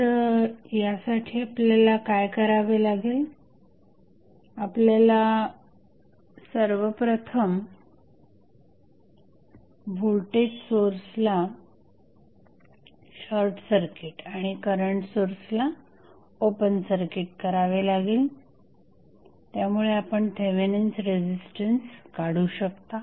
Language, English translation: Marathi, So, for that what you have to do, you have to first short circuit the voltage source and open circuit the current source so, that you can find out the value of Thevenin resistance